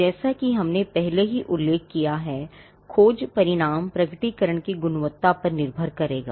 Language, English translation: Hindi, The search result as we have already mentioned, will be dependent on the quality of the disclosure